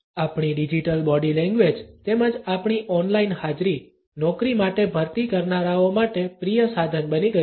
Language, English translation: Gujarati, Our digital body language as well as our on line presence has become a favourite tool for recruiters